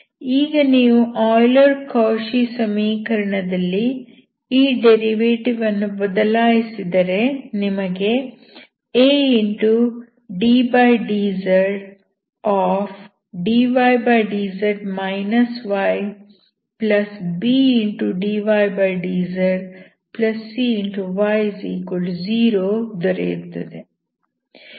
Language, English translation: Kannada, Now you replacing these derivatives in the Euler–Cauchy equation will giveaddz(dydz −y )+bdydz+cy=0